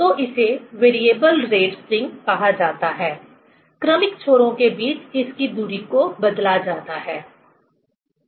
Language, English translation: Hindi, So, it is called variable rate spring; varying this distance between the successive loops